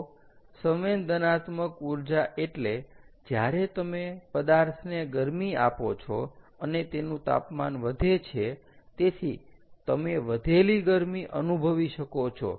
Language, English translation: Gujarati, so sensible energy is when you heat up a material and its temperature rises, so you can sense that heat gain